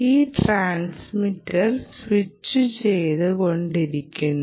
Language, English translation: Malayalam, so this transistor is switching like that, right